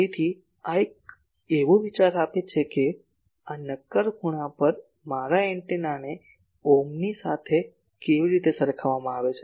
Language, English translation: Gujarati, So, these gives an an idea that at this solid angle how much better my antenna is compared to an omni